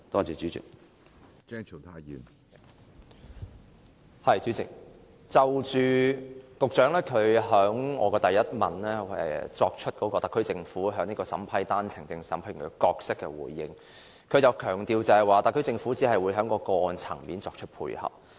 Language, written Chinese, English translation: Cantonese, 主席，就我主體質詢的第一部分，關於特區政府在單程證審批程序中的角色，局長強調特區政府只會在個案層面作出配合。, President in regard to part 1 of my main question concerning the role of the SAR Government in the vetting and approval process for OWPs the Secretary stressed that the SAR Government only facilitates at case level in the processing of applications